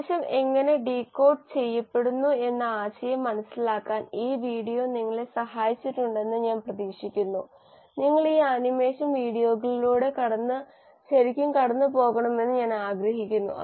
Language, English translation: Malayalam, I hope this video has helped you understand the concept of how the message is decoded and I would like you to really go through these animation videos